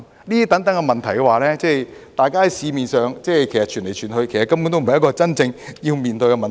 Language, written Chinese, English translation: Cantonese, 這種種問題，大家在市面上傳來傳去，其實根本不是真正要面對的問題。, These various issues have been circulating in the market but they are not the issues we really need to deal with